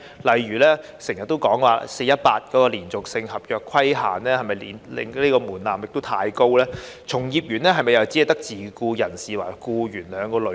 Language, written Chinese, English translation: Cantonese, 例如經常提到的 "4-18" 的"連續性合約"規限這個門檻是否太高；從業員又是否只有自僱人士和僱員兩個類別？, For example is the commonly - known 4 - 18 requirement for a continuous contract too high a threshold; and are there two types of workers only ie